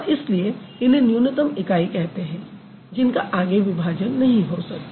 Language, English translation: Hindi, So, that is why they are minimal units, no distinction, sorry, no division further